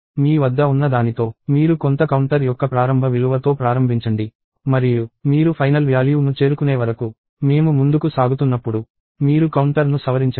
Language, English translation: Telugu, What you have is you start with an initial value of some counter and you modify the counter as we go along till you reach a final value